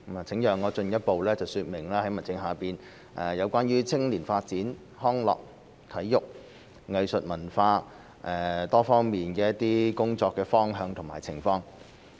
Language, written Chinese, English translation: Cantonese, 請讓我進一步說明在民政事務局下關於青年發展、康樂、體育、藝術、文化多方面的工作方向和情況。, Let me further explain the direction of work and state of affairs of the Home Affairs Bureau in terms of youth development recreation sports arts and culture